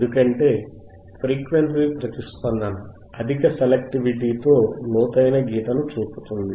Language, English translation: Telugu, This is because a frequency response shows a deep notch with high selectivity